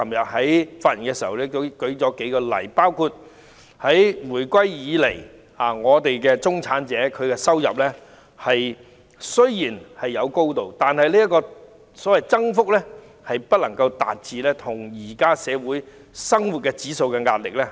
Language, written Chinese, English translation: Cantonese, 我昨天發言時亦列舉了數個例子，包括自回歸以來，中產人士的收入雖然有增加，但增幅卻追不上目前社會的生活指數。, I enumerated a few examples in my speech yesterday . For example since the reunification although the income of the middle class has increased the rate of increase cannot catch up with the cost of living in society